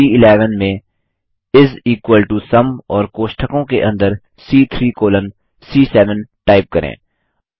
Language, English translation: Hindi, In the cell C11 lets type is equal to SUM and within braces C3 colon C7